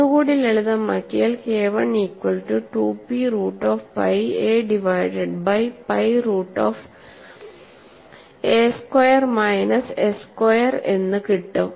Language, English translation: Malayalam, I have this load as 2 into a minus s divided by a into pi p naught square root of pi a divided by a squared minus s squared ds